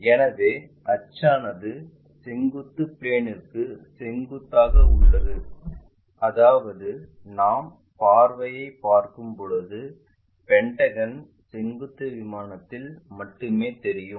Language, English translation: Tamil, So, axis is perpendicular to vertical plane that means, when we are looking the view the pentagon will be visible only on the vertical plane